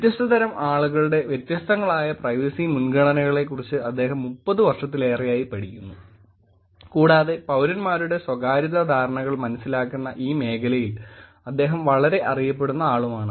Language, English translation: Malayalam, What kind of people have what kind of privacy preferences and he has been studying this for more than 30 years or so, and is very, very well known in this field of understanding privacy perceptions of citizens